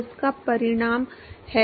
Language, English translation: Hindi, So, that is results in the